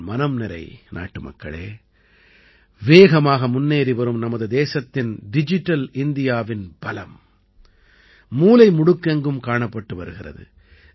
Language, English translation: Tamil, My dear countrymen, in our fast moving country, the power of Digital India is visible in every corner